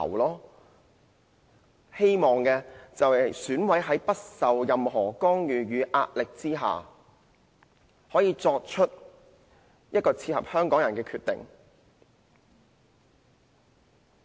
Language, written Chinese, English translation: Cantonese, 我們希望選委可以在不受任何干預和壓力之下，作出切合香港人的決定。, It is our hope that EC members can make a decision on the basis of peoples aspiration and free from any interference or pressure